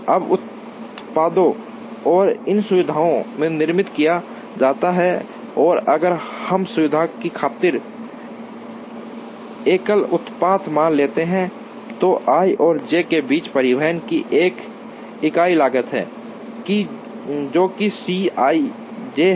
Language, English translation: Hindi, Now, the products are made manufactured in these facilities and if let us assume a single product for the sack of convenience then there is a unit cost of transportation between i and j, which is C i j